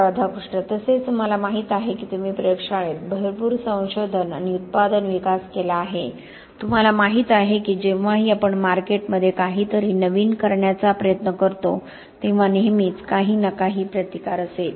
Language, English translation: Marathi, Also I know you have done a lot of lab research and product development, you know whenever we try to do something new to the market, there will always be some resistance